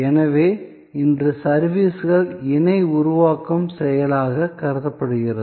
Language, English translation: Tamil, So, today services are thought of as an act of co creation